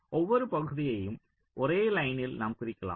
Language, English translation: Tamil, we can simply represent each of the regions by a single line